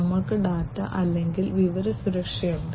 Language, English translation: Malayalam, We have data or information security, right